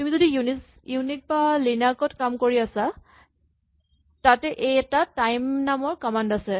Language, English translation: Assamese, Now if you are working in Unix or in Linux there is a nice command called time